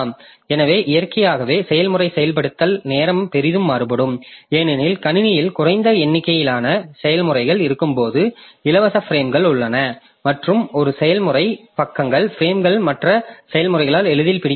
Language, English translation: Tamil, So, naturally the process execution time can vary say greatly because it may so happen that when there are less number of processes in the system then the free frames are there and a processes pages are not grabbed easily by other processes